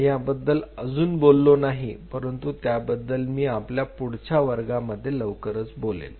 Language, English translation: Marathi, I have not talked about that I will I will talk about very soon in the next class on it